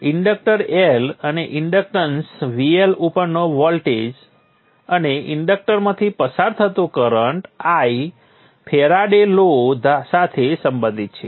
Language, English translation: Gujarati, The inductance L and the voltage across the inductance VL and the current I which is flowing through the inductor are related by the Faraday's law